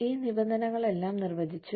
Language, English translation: Malayalam, So, we defined, all these terms